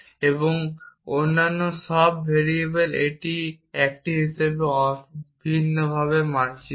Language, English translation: Bengali, And all other variables it maps identically as in a